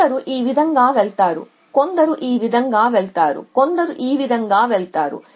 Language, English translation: Telugu, Some goes this way some goes this way some goes this way some go that